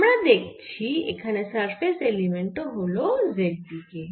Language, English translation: Bengali, so we can see this surface element moving along with y direction